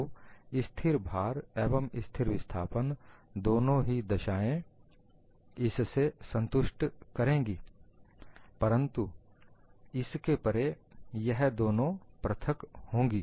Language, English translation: Hindi, So, both the cases of constant load and constant displacement would satisfy this, but beyond this, these two will be different